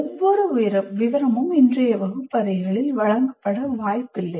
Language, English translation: Tamil, So what happens is every detail is not, is unlikely to be presented in today's classrooms